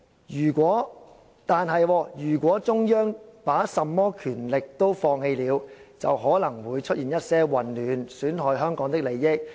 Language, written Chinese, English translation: Cantonese, 如果中央把甚麼權力都放棄了，就可能會出現一些混亂，損害香港的利益。, However if the Central Authorities give up all their powers some chaotic situations may arise thereby jeopardizing Hong Kongs interest